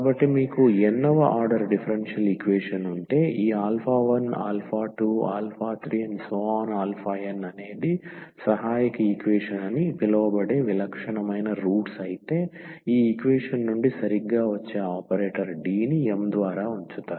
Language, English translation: Telugu, So, if you have a nth order differential equation and if this alpha 1 alpha, 2 alpha, 3 alpha n are the distinct rots of this so called the auxiliary equation which coming exactly from this equation you placing the operator d by m